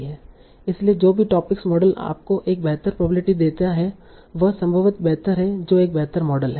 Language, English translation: Hindi, So whatever topic model gives you a better log likelihood that is probably better, that is a better model